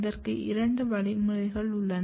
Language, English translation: Tamil, So, there are two kind of mechanism